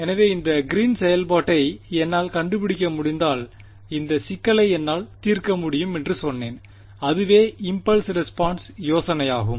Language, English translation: Tamil, So, I said if I can find out this Green function I can solve this problem right and that was the impulse response idea